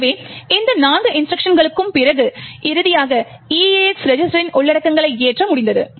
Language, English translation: Tamil, So, after these four instructions we are finally been able to load the contents of the EAX register